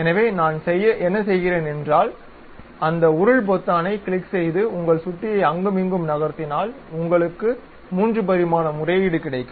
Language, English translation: Tamil, So, what I am doing is click that scroll button hold it and move your mouse here and there, you will get the 3 dimensional appeal